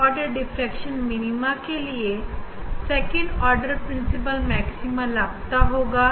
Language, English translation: Hindi, for first order diffraction minima, second order principle maxima second order principle maxima we will be missing